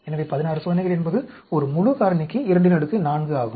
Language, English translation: Tamil, So, 16 experiments means it is 2 power 4 for a full factorial